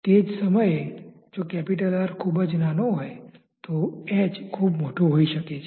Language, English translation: Gujarati, At the same time if R is very small, then this h can be very very large